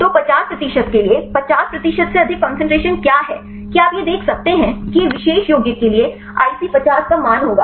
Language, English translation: Hindi, So, for the 50 percent what is the concentration related to 50 percent, that you can see this will be the IC50 value for the particular compound